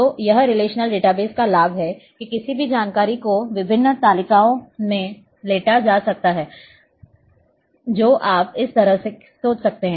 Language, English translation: Hindi, So, that is the advantage of relational database that anytime information may be lying in different tables you can think in this way